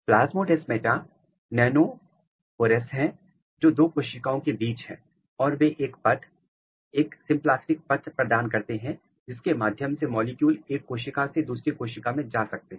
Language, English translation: Hindi, Plasmodesmata are the nanopores which basically is between two cells and they are providing a path, a symplastic path through which molecules can move from one cell to another cell